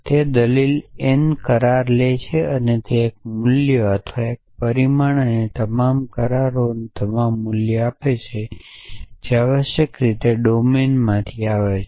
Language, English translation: Gujarati, So, it takes the argument n agreements and gives the one value or one result and all the agreements and all the values they comes from the domine essentially